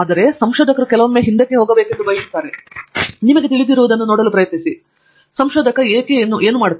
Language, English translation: Kannada, So, researcher sometimes wants to step back and try to look at you know, what does a researcher do